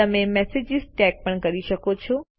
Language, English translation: Gujarati, You can also tag messages